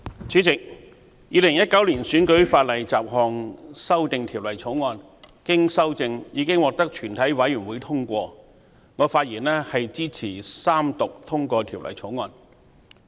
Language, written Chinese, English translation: Cantonese, 主席，《2019年選舉法例條例草案》經修正已獲全體委員會通過，我發言支持三讀通過《條例草案》。, President the Electoral Legislation Bill 2019 the Bill has been passed by committee of the whole Council with amendment . I speak in support of the Third Reading